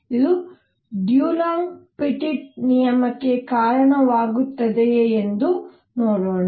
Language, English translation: Kannada, Let us see if it leads to Dulong Petit law also